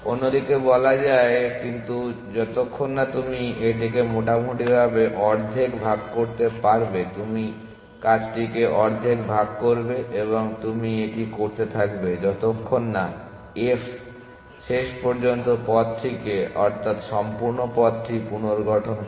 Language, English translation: Bengali, In the other half, but as long as you can divide it roughly half you will split the work half and half and you will keep doing that till f eventually reconstructed the path the full path